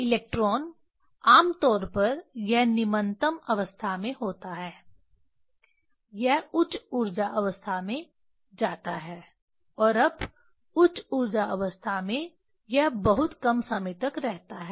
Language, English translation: Hindi, The electrons generally it is in ground state it goes to the higher energy states and now in the higher energy states it stays only very small times